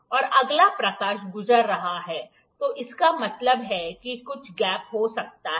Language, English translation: Hindi, And if the light is passing, that means there might be some gap